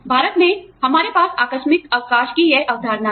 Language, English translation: Hindi, In India, we have this concept of casual leave